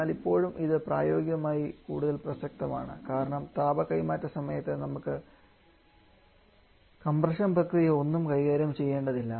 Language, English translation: Malayalam, But still this is practically much more relevant or much more possible because we do not have to deal with any compression during the heat transfer